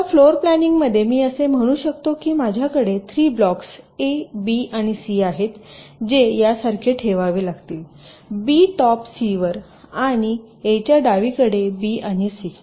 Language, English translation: Marathi, now in floor planning i can say that i have three blocks, a, b and c, which has to be placed like this, b on top of c and a to the left of b and c